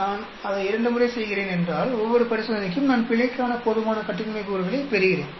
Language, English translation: Tamil, If I am doing it twice, each of the experiment I get sufficient degrees of freedom for error